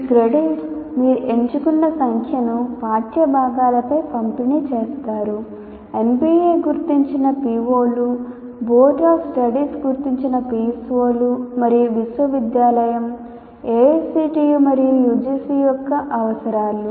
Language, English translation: Telugu, And these credits, whatever number that you choose, are distributed over the curricular components, keeping the POs identified by NBA, PSOs identified by the Board of Studies, and the requirements of the university, AICT and UGC